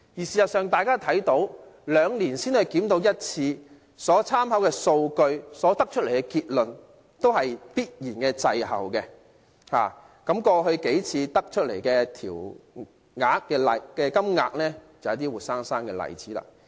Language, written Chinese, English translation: Cantonese, 事實上大家看到，兩年才檢討一次所參考的數據、所得出的結論，必然會滯後，過去幾次調整的金額就是活生生的例子。, In fact the conclusion drawn from reference data used for review every two years unavoidably suffers a lag the past several adjustment rates being a good example